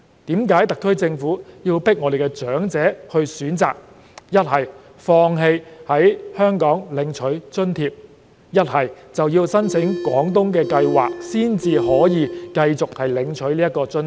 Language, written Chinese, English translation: Cantonese, 為何特區政府要強迫長者選擇，要不放棄在香港領取津貼，要不申請廣東計劃才可以繼續領取津貼？, Why does the SAR Government force the elderly to choose either to give up receiving the allowances in Hong Kong or apply for the Guangdong Scheme in order to continue to receive the benefits?